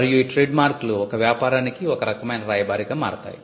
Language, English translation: Telugu, And the marks become some kind of an ambassador for a business